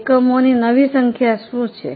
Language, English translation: Gujarati, What will be the new number of units